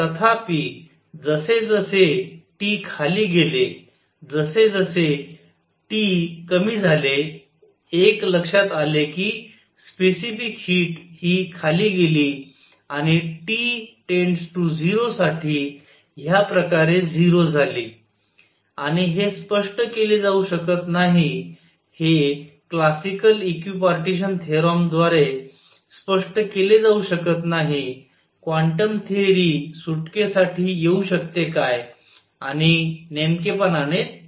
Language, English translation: Marathi, However, as T went down, as T was reduced, what one observed was that the specific heat went down and become 0 like this for T tending to 0 and this could not be explained, this could not be explained by classical equipartition theorem could quantum theory come to rescue and that is precisely what happens